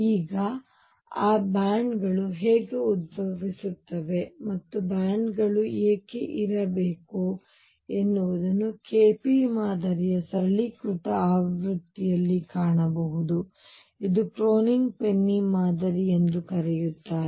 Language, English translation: Kannada, Now, how those bands arise and why should there be bands can be seen in a simplified version of KP model which is also known as a Kronig Penny model